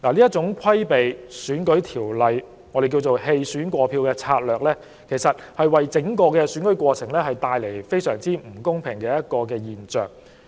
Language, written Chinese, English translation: Cantonese, 這種規避選舉法例之舉，亦即我們所謂的"棄選過票"策略，其實會在整個選舉過程中造成相當不公平的現象。, Such a ploy of circumventing the electoral legislation or the dropping out and transferring votes tactic as we call it would actually result in gross unfairness in the entire electoral process